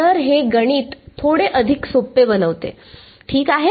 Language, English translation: Marathi, So, this just allows the math to become a little bit easier, we are ok